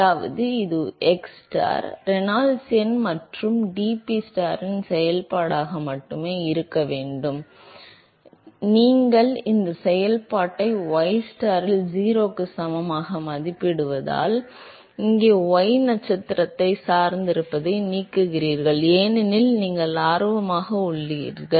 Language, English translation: Tamil, So, which means that this should only be a function of xstar, Reynolds number and dPstar by dxstar, why, because you are evaluating this function at ystar equal to 0, here removing the dependence on y star, because you are interested in the friction coefficient at the interface, that is what we want to know